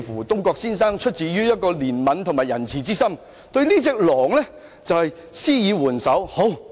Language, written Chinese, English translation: Cantonese, 東郭先生出於憐憫及仁慈的心，答應對狼施以援手。, Out of mercy and compassion Mr Dongguo agreed to lend the wolf a helping hand